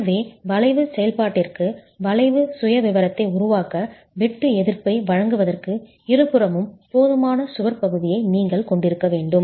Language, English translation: Tamil, So, you must have sufficient wall area on the two sides for that shear assistance to be provided for the arching action, for the arch profile itself to form